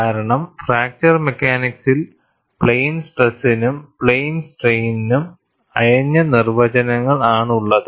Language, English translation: Malayalam, Because, in fracture mechanics, we tend to have looser definitions of plane stress and plane strain